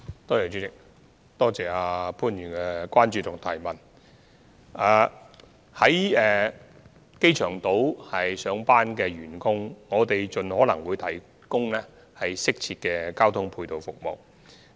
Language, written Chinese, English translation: Cantonese, 我們會盡可能為在機場島上班的員工提供適切的交通配套服務。, We will provide appropriate ancillary transport services for employees working on the airport island as far as possible